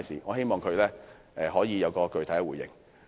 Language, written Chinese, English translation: Cantonese, 我希望局長可以作出具體回應。, I hope the Secretary can give a specific response